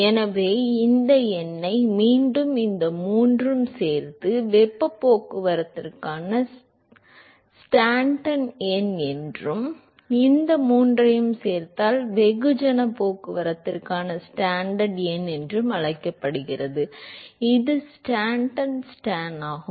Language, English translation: Tamil, So, this number once again this these three put together is called as the Stanton number for heat transport and these three put together is what is called Stanton number for mass transport, this is Stanton s t a n